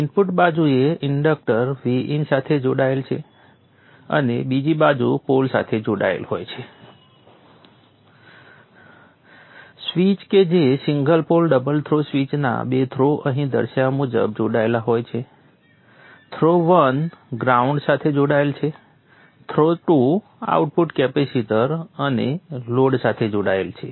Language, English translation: Gujarati, The inductance is on the input side connected to V In, other side is connected to the pole, the two throws of the switch, single pole double throw switch are connected as shown here, throw 1 is connected to the ground, throw 2 is connected to the output capacitor and the low